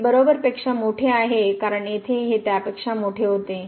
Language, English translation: Marathi, So, this is greater than equal to because here it was greater than